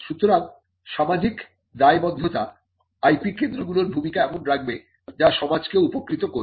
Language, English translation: Bengali, So, the social responsibility will actually make the IP centres role as something that will also benefit the society